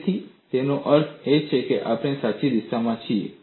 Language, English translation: Gujarati, So, that means we are in the right direction